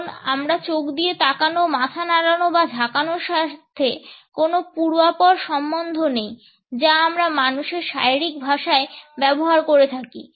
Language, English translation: Bengali, Because we do not have the context of the stare, the eye, the nod, the shake that we use to in human body language